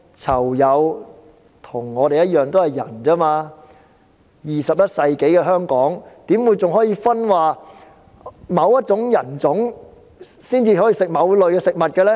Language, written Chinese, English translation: Cantonese, 囚友與我們一樣也是人，在21世紀的香港，怎會還會出現某一人種才可以吃某類食物的情況呢？, Inmates are people just like us . In Hong Kong in the 21 century how it is possible that only a certain group of people may have a certain kind of food?